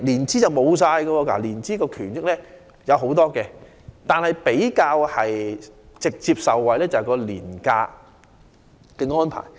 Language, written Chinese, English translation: Cantonese, 涉及年資的權益有很多，而員工能直接受惠的權益便是年假安排。, Many entitlements are based on years of service . And one of the entitlements which an employee can directly enjoy is annual leave